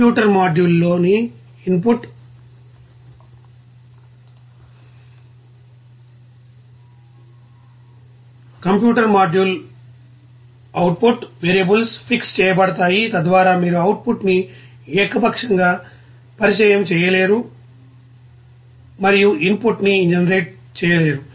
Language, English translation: Telugu, The input and output variables in a computer module are fixed, so that you cannot arbitrarily introduce an output and generate an input